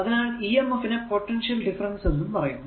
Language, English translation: Malayalam, So, this emf is also known as the potential difference and voltage